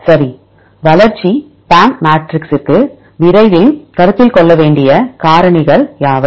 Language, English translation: Tamil, Right, what are the factors soon as to consider for the development PAM matrix